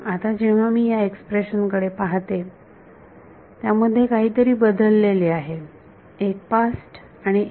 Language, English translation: Marathi, Now, when I look at this expression that has something changed one past and one